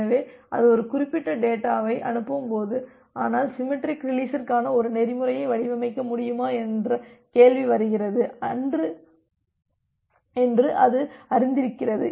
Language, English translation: Tamil, So, it knows it has an idea that when it has sent a particular data, but the question comes that can we design a protocol for the symmetric release